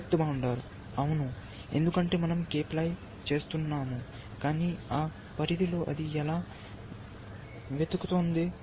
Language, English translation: Telugu, Depth bounder yes, because we have doing k ply, but within that bound, how is it searching in